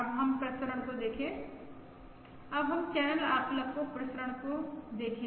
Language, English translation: Hindi, now let us look at the variance of the channel estimator